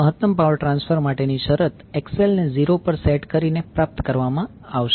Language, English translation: Gujarati, The condition for maximum power transfer will be obtained by setting XL is equal to 0